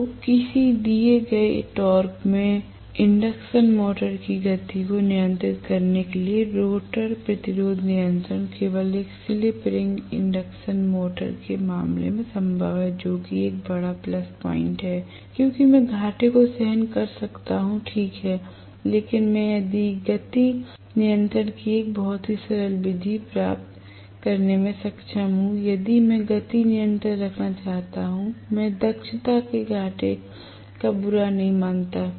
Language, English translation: Hindi, So, the rotor resistance control for controlling the speed of an induction motor at a given torque is possible only in the case of a slip ring induction motor which is a big plus point, because I am incurring losses, alright, but I am able to get a very simple method of speed control if I want to have speed control, no matter what, I do not mind losing out on efficiency